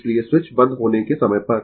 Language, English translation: Hindi, So, at the time of switch is closed, right